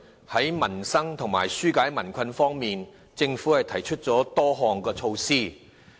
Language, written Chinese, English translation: Cantonese, 在民生及紓解民困方面，政府提出了多項措施。, The Government has introduced a number of measures to address livelihood issues and help ease the burden of the people